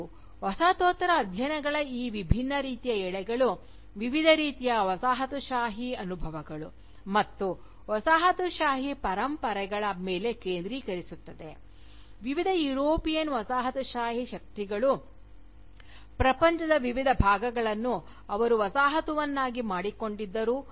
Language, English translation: Kannada, And, these different sort of threads of Postcolonial studies, focus on the different kinds of Colonial experiences, and Colonial legacies, that various European Colonial powers had subjected to, the different parts of the world, that they Colonised